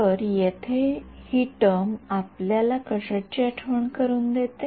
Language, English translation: Marathi, So, this term over here what does it remind you of